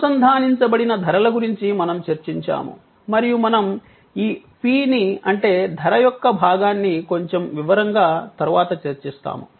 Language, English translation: Telugu, We are then of course discussed about prices, which are linked and we will take up this p, the price part in little detail later